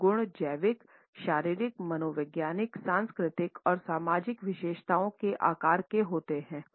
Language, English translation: Hindi, These qualities are shaped by biological, physiological, psychological, cultural, and social features